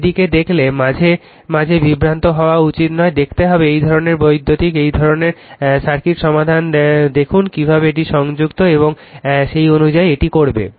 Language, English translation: Bengali, Look at that, sometimes you should not be confused looking is such kind of electrical, such kind of circuit see carefully how this is connected and accordingly you will do it